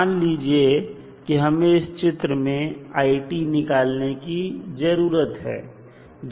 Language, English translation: Hindi, Let us say that we need to find the value of it in the figure for time t greater than 0